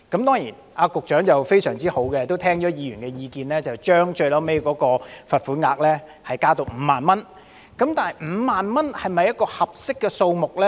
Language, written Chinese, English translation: Cantonese, 當然，局長非常好，聽取了議員的意見，最後將罰款額提高至5萬元，但5萬元是否一個合適的數目呢？, Certainly the Secretary was so nice and heeding the advice of Members ultimately raised the amount of fine to 50,000 . But is 50,000 an appropriate amount?